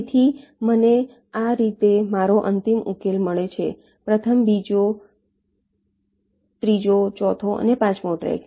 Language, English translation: Gujarati, so i get my final solution like this: first, second, third, fourth and fifth track